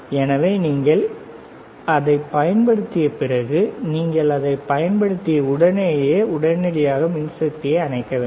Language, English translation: Tamil, So, after you use it, right after you use it ok, you should immediately switch off the power